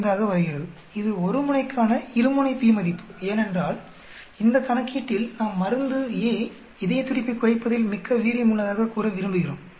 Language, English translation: Tamil, 0195, this is a two tailed p value so for a one tail because in this problem we want to say drug A is more effective in lowering the heart beat